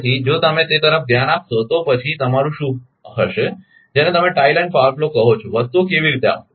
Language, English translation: Gujarati, So, if you look into that then what will be the your what you call the tie line power flow how things will come